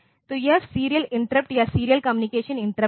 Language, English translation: Hindi, So, this is the serial interrupt or serial communication interrupt